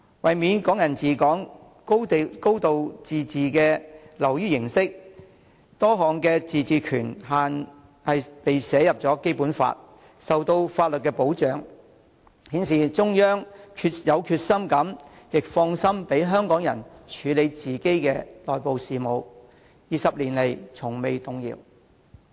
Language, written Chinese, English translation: Cantonese, 為免"港人治港"、"高度自治"流於形式化，多項自治權限被寫入《基本法》，受到法律保障，顯示中央有決心亦放心讓香港人處理自己的內部事務 ，20 年來從未動搖。, To prevent Hong Kong people administering Hong Kong and a high degree of autonomy from becoming a superficial slogan many autonomous powers have been written into the Basic Law and are protected by law . This indicates that the Central Government is determined and relieved to let Hong Kong people manage their internal affairs and such attitudes have never been wavered over the past two decades